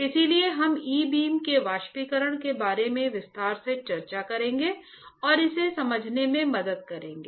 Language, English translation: Hindi, So, we will discuss this about e beam evaporating in detail and just helping out to understand that